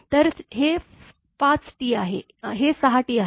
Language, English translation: Marathi, So, this is 5 T, this is 6 T